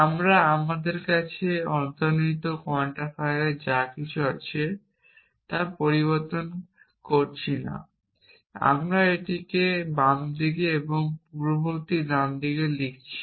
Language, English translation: Bengali, We are not changing anything we have into implicit quantifier from and we are writing it consequent on the left hand side and antecedent on the right hand side